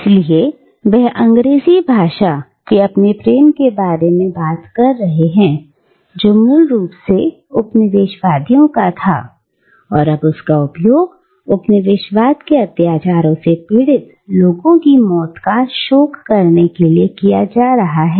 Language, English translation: Hindi, So, he talks about his, “love” for the English tongue which,, though it originally belonged to the colonisers, is now being used by him to lament the death of the people suffering from the atrocities of colonialism